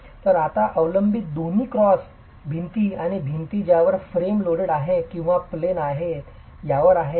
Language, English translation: Marathi, So, the dependence now is on both cross walls and the wall that is face loaded or out of plane